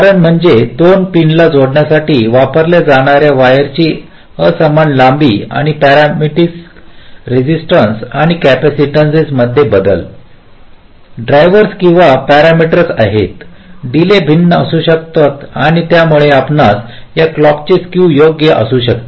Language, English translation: Marathi, because of the means unequal length of the wires that are used to connect the two pins, and also variability in the parasitic resistances and capacitances drivers various parameters are there, the delays can be different and because of that you can have this clock skew right